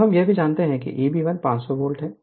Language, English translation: Hindi, Now also we know E b 1 is 500 volt